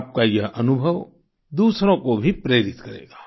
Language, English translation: Hindi, Really Priyanka ji, this experience of yours will inspire others too